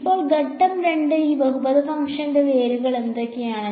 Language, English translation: Malayalam, Now, step 2 what are the roots of this polynomial function